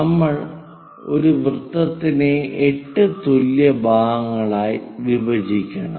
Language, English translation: Malayalam, We have divided a circle into 8 equal parts